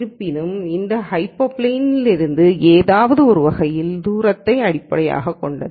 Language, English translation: Tamil, However, based on the distance in some sense from this hyperplane